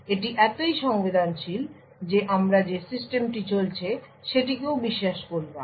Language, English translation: Bengali, It is So, sensitive that we do not even trust the system that it is running on